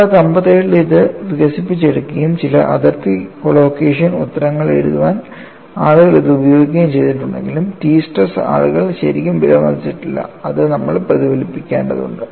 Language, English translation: Malayalam, Though it was developed in 1957 and people use this for writing certain boundary collocation answers, people have not really appreciated the t stress; which we will have to reflect up on it